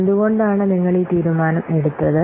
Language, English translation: Malayalam, So, why you have taken this decision